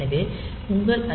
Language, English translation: Tamil, So, in your ISR